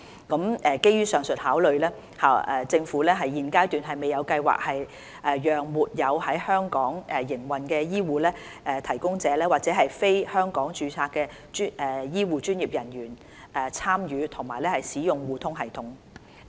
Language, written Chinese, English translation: Cantonese, 基於上述考量，政府現階段未有計劃讓沒有在香港營運的醫護提供者或者非香港註冊的醫護專業人員參與及使用互通系統。, In view of the above considerations the Government has no plans at this stage to allow HCPs without operations in Hong Kong or health care professionals who are not registered in Hong Kong to join or use eHRSS